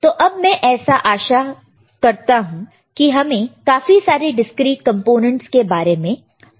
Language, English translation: Hindi, So, now I hope that we know most of the components are discrete components